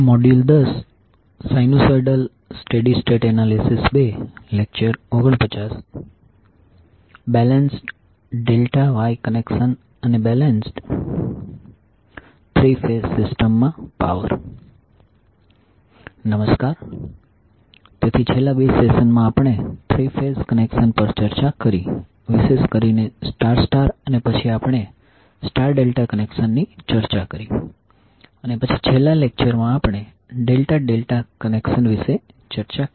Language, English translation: Gujarati, Namashkar, so in the last two sessions, we have discussed about three phase connections specially star star and then we discussed star delta connections and then in the last lecture we discussed about the Delta Delta connection